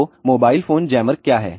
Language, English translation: Hindi, So, what is a mobile phone jammer